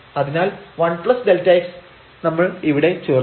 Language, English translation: Malayalam, So, 1 plus delta x we will submit here